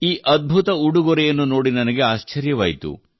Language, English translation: Kannada, I was surprised to see this wonderful gift